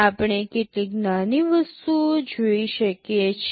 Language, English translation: Gujarati, We can see some smaller things